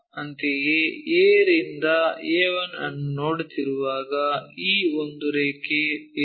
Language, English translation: Kannada, Similarly, when we are looking A to A 1 there is a line this one